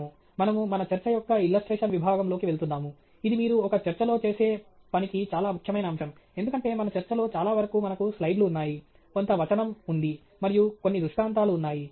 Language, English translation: Telugu, We are moving into the illustration section of our talk, which is a very important aspect about what you do in a talk, because most of our talk we have slides, there is some text, and there are some illustrations